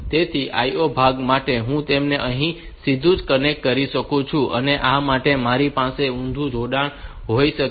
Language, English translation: Gujarati, So, for the IO part, I can connect it directly here and for this one, I can have an inverted connection